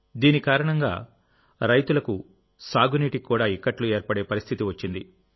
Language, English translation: Telugu, Due to this, problems in irrigation had also arisen for the farmers